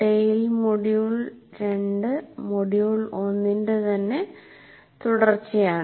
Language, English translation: Malayalam, Tale 2 itself is a continuation of Tale module 1